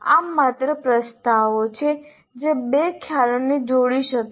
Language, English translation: Gujarati, These are just propositions that can link two concepts